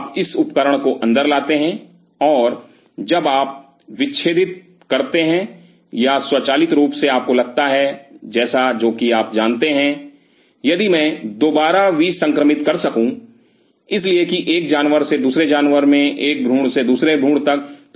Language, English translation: Hindi, So, you get this instrument inside, and while you are dissecting or automatically you may feel like you know, if I could restore lies because from one animal to second animal from one embryo to next embryo